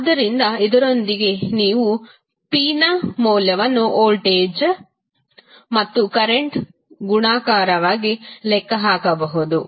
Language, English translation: Kannada, So, with this you can simply calculate the value of p as a multiplication of voltage and current